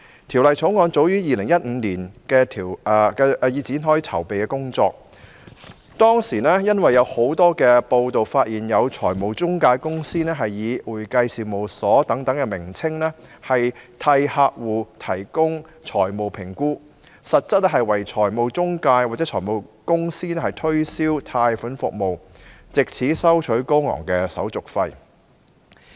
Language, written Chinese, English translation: Cantonese, 《條例草案》早於2015年已展開籌備工作，當時有多篇報道，指有財務中介公司以"會計事務所"為名，替客戶提供財務評估，實質為財務中介或財務公司推銷貸款服務，藉此收取高昂的手續費。, Preparations for the Bill already began as early as 2015 . At the time many news reports had it that some financial intermediaries actually engaged in loan service promotion for financial intermediaries or financial companies under the guise of accounting firms providing customers with financial assessment and charged exorbitant administrative fees